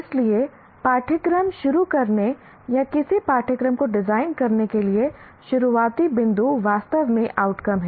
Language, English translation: Hindi, So the starting point, either for designing a course or designing a program are really the outcomes